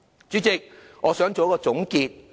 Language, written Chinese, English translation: Cantonese, 主席，我想作出總結。, President I wish to give a conclusion